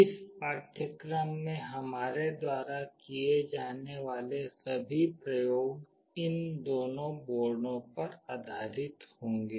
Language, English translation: Hindi, All the experiments that we will be doing in this course will be based on these two boards